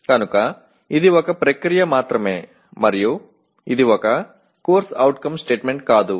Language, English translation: Telugu, So it is only a process and not themselves they are not it is not a CO statement